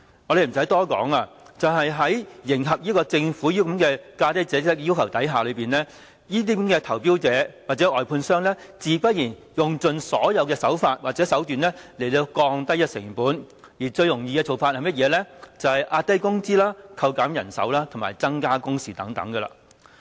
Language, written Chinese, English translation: Cantonese, 無須多說，為迎合政府這個"價低者得"的要求，這些投標者或外判商，自然用盡所有手段來降低成本，最容易的做法就是壓低工資、扣減人手和增加工時等。, Needless to say in order to meet the Governments lowest bid wins requirement bidders or contractors try every possible means to cut costs with suppressing wages reducing manpower and increasing work hours being the easiest ways